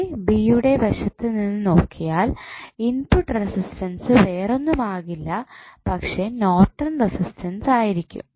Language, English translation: Malayalam, So, if you look from the side a, b the input resistance would be nothing but Norton's resistance